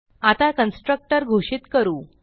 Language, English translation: Marathi, Now we will declare a constructor